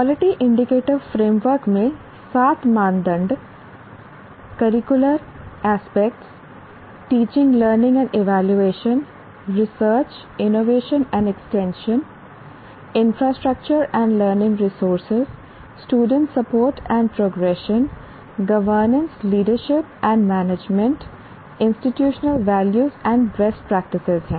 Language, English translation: Hindi, Curricular aspects, teaching, teaching learning and evaluation, research, innovations and extension, infrastructure and learning resources, student support and progression, governance, leadership and management, and institutional values and best practices